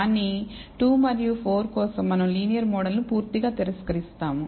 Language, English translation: Telugu, But for 2 and 4 we will completely reject the linear model